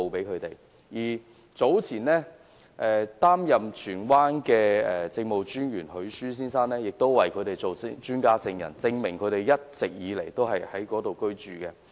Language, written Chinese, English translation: Cantonese, 前荃灣理民府兼市鎮專員許舒先生，亦擔任專家證人，證明居民一直以來都是在該處居住。, Besides Mr James William HAYES former Town Manager District Officer Tsuen Wan acted as an expert witness to testify that the villagers have all along been living in the village